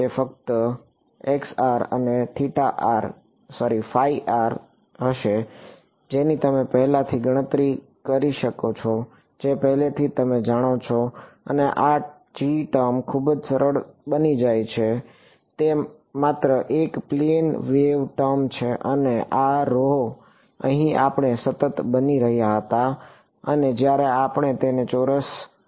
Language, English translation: Gujarati, It will just be this chi r and phi r which you have calculated already which you know already and this g term becomes very simple it is just a plane wave term and this rho over here we were taking into be constant and when we square it ah